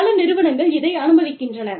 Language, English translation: Tamil, And, many organizations, permit this